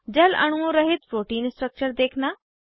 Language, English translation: Hindi, * View Protein structure without water molecules